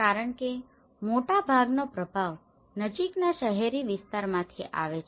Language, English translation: Gujarati, Because most of the influence happens from the nearby urban areas